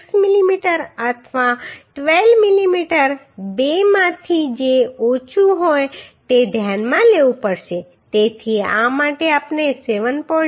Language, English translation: Gujarati, 6 mm or 12 mm whichever is less so for this we have consider 7